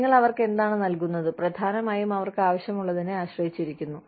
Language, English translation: Malayalam, What you give them, depends largely on, what they need